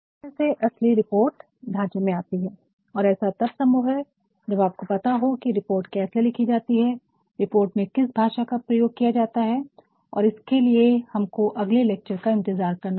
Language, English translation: Hindi, So, that the real report may come in to shape and that is possible when we know how to write the reports, what language is to be provided in the report and for that we will have to wait for the next lecture